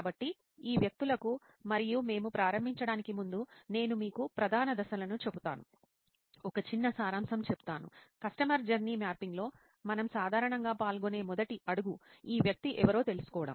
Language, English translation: Telugu, So over to these people and for before we start that I will tell you the major steps, just again recap; is the first step that we normally involve in customer journey mapping is to know who this person is: persona